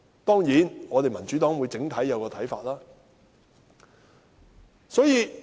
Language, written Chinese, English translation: Cantonese, 當然，民主黨整體會有一個看法。, Of course the Democratic Party as a whole will have a common view